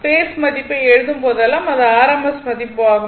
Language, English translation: Tamil, Whenever you write phase value that it is rms value